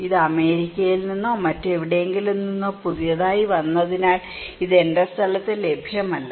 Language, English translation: Malayalam, Because this is a new came from America or somewhere else, this is not available in my place